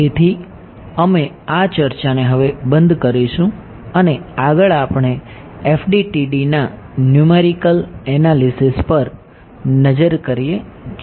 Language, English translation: Gujarati, So, we will close this discussion now and next we look at numerical analysis of FDTD